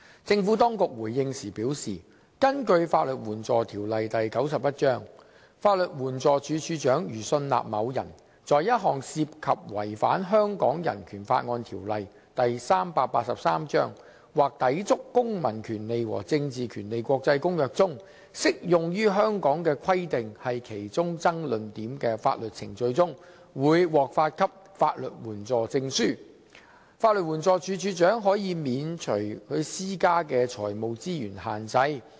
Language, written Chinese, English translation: Cantonese, 政府當局回應時表示，根據《法律援助條例》，法律援助署署長如信納某人在一項涉及違反《香港人權法案條例》或抵觸《公民權利和政治權利國際公約》中適用於香港的規定是其中爭論點的法律程序中，會獲發給法律援助證書，法律援助署署長可以免除所施加的財務資源限制。, In response the Administration explains that under LAO Cap . 91 the Director of Legal Aid DLA may waive the limit of financial resources imposed where DLA is satisfied that a person would be granted a legal aid certificate in proceedings which involve a breach of the Hong Kong Bill of Rights Ordinance Cap . 383 or an inconsistency with the International Covenant on Civil and Political Rights as applied to Hong Kong is an issue